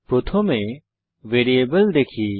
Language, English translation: Bengali, First lets look at variables